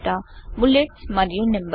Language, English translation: Telugu, Bullets and Numbering